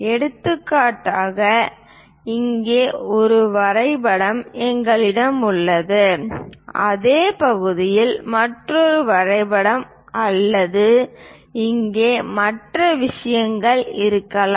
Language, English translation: Tamil, For example, we have a drawing of this here, there might be another drawing of the same either part or other things here